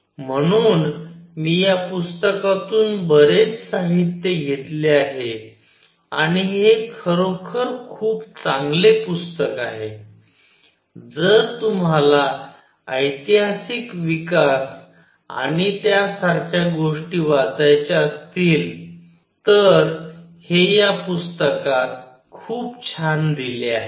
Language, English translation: Marathi, So, I have taken most of these materials from this book and this is really a very nice book, if you want to read the historical development and things like those, this is very nicely given in this book